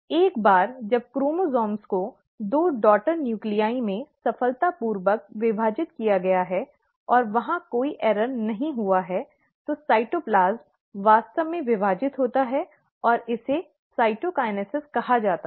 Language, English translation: Hindi, Once the chromosomes have been now successfully divided into two daughter nuclei, and there is no error happening there, then the cytoplasm actually divides, and that is called as the ‘cytokinesis’